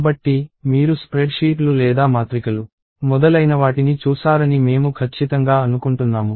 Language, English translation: Telugu, So, I am sure you have seen spreadsheets or matrices and so on